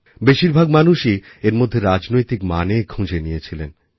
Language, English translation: Bengali, Most people have derived political conclusions out of that